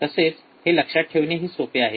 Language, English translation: Marathi, It is easy to remember